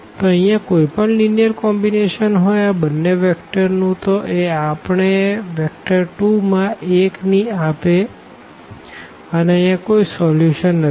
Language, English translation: Gujarati, So, here any linear combination of these two vectors will not give us the vector 1 in 2 and hence this is the case of no solution